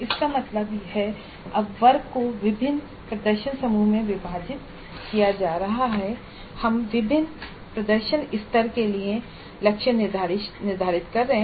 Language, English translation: Hindi, That means now the class is being divided into the different performance groups and we are setting targets for different performance levels